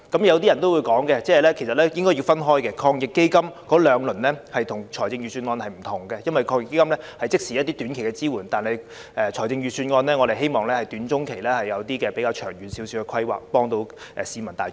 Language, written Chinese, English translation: Cantonese, 有人可能說兩輪防疫抗疫基金措施和預算案並不相同，應該分開來說，因為防疫抗疫基金措施屬即時提出的一些短期支援，但我們卻希望預算案能夠在短中期提出比較長遠的規劃，從而幫助市民大眾。, Some people may say that the two rounds of measures under AEF and the Budget are different and should be considered separately because the measures under AEF offer short - term support on an ad hoc basis whereas the Budget is expected to provide more forward - looking planning in the short to medium term so as to assist the public